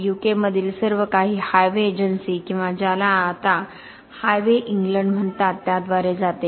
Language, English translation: Marathi, In the U K everything goes through the Highways Agency or what is now called Highways England